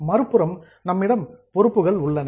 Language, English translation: Tamil, On the other side, we have got liabilities